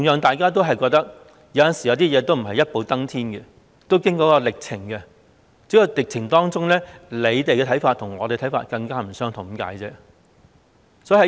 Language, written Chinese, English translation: Cantonese, 大家都認同有些事不能一步登天，要經過一些歷程，只不過在歷程當中，政府的看法與我們的看法不相同而已。, We all agree that we should not expect to make accomplishment at one stroke . We need to undergo a certain process only that in the process the views of the Government differ from those of ours